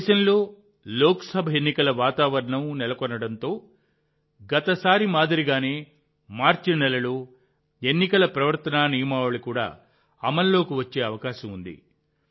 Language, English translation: Telugu, The atmosphere of Lok Sabha elections is all pervasive in the country and as happened last time, there is a possibility that the code of conduct might also be in place in the month of March